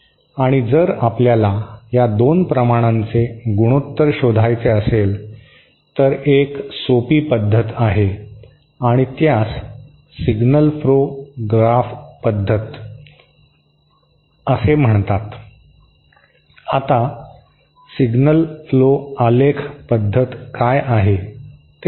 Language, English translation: Marathi, And if you want to find out the ratio of these 2 quantities, then there is a simpler method and that is called the signal flow graph method